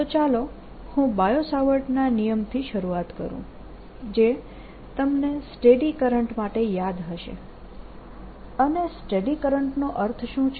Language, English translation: Gujarati, so let me start with bio savart law, which you recall, for steady currents and what you mean by steady currents